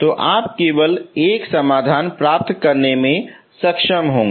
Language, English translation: Hindi, So you will be able to get only one solution